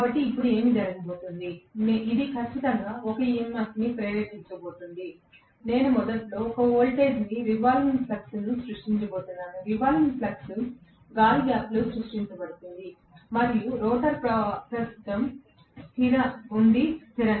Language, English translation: Telugu, So now, what is going to happen is, this is going to definitely induce an EMF, the moment I initially apply a voltage that is going to create a revolving flux, the revolving flux is created in the air gap and the rotor is right now stationary